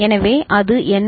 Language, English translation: Tamil, So, what is it